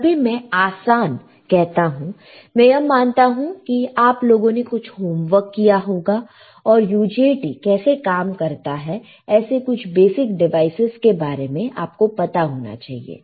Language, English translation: Hindi, Whenever I say easy; I assume that you guys have done some homework and you know how the UJT operates, these are basic devices you should know